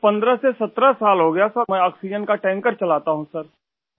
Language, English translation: Urdu, I've been driving an oxygen tanker for 15 17 years Sir